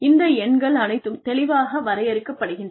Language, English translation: Tamil, And, all these numbers are clearly defined